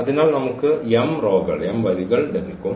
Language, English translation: Malayalam, So, we will get these m rows